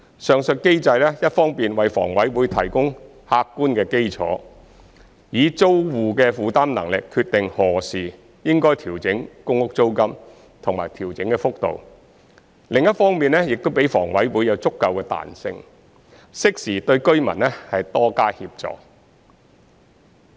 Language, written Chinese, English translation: Cantonese, 上述機制一方面為房委會提供客觀的基礎，以租戶的負擔能力決定何時應調整公屋租金及調整的幅度，另一方面亦給房委會足夠彈性，適時對居民多加協助。, On the one hand the said mechanism provides an objective basis for HA to determine when the PRH rent should be adjusted and by how much taking into account the tenants affordability . On the other hand it provides sufficient flexibility for HA to offer more assistance to the residents in a timely manner